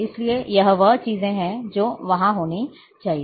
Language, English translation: Hindi, So, those are the things which have to be